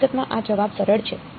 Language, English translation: Gujarati, In fact, this answer is simpler